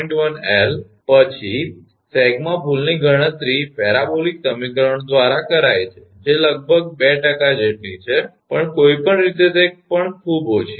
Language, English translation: Gujarati, 1 L then the error in sag computed by the parabolic equations is about 2 percent that is also quite less anyway